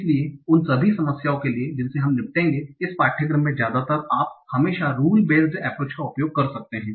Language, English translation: Hindi, So for all the problems that we will be dealing with in this course, mostly you can always use a rule based approach